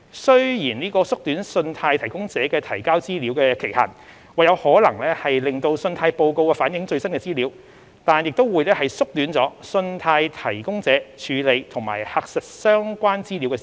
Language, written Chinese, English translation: Cantonese, 雖然縮短信貸提供者提交資料的期限或有可能使信貸報告反映最新的資料，但也會縮短了信貸提供者處理及核實相關資料的時間。, While shortening the reporting period for credit providers to submit data may allow credit reports to reflect the latest information it will also reduce the time available for credit providers to handle and verify the relevant information